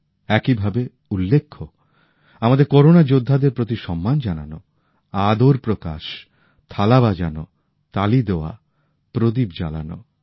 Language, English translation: Bengali, Similarly, expressing honour, respect for our Corona Warriors, ringing Thaalis, applauding, lighting a lamp